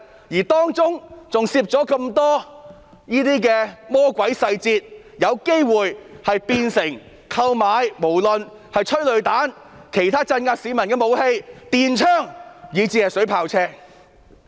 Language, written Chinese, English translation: Cantonese, 而且當中還有很多魔鬼細節，讓警隊有機會購買催淚彈、其他鎮壓市民的武器、電槍，以至水炮車。, What is more there are still a lot of devilish details which make it likely for the Police Force to procure tear gas canisters other weapons for suppressing the public stun guns and even water cannon vehicles